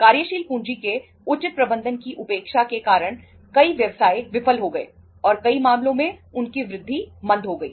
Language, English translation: Hindi, Neglecting the proper management of working capital has caused many businesses to fail and in many cases has retarded their growth